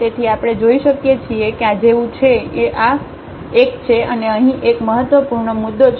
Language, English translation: Gujarati, So, we can see like this one this one this one this one and again here there is a critical point